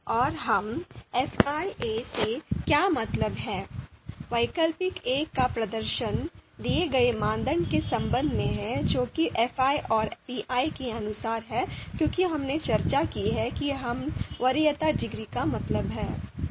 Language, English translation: Hindi, So what we mean by fi b is performance of alternative b with respect to criterion fi and what we mean by fi a is performance of alternative a with respect to the given criterion that is fi and by pi as we discussed we mean the preference degree